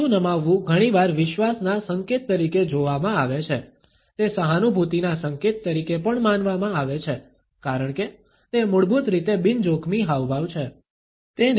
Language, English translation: Gujarati, Tilting the head is often seen as a sign of trust, it is also perceived as a sign of empathy, as it is basically a non threatening gesture